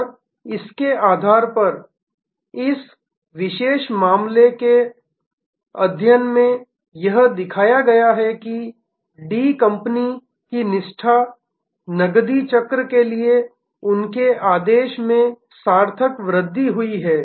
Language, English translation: Hindi, And based on this, it has been shown in this particular case study that the D company’s nimbleness, their order to cash cycle has accelerated quite significantly